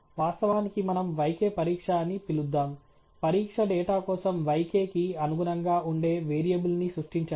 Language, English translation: Telugu, In fact, let us call also yk test; create a variable which corresponds to the yk for the test data alright